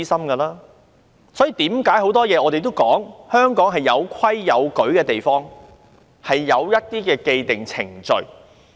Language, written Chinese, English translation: Cantonese, 我們常說，香港是一個有規有矩的地方，很多事情均有既定程序。, We often say that Hong Kong is a place of clear regulations and procedures . There are established procedures for everything